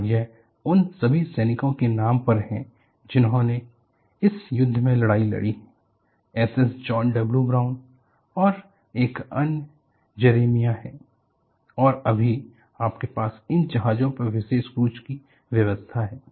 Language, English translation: Hindi, And it is all named on the soldiers who fought in this war, S S John W Brown and another one is Jeremiah and right now, you have special cruise aboard these ships are arranged, even now